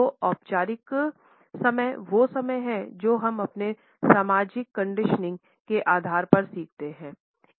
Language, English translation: Hindi, So, formal time is the time which we learn on the basis of our social conditioning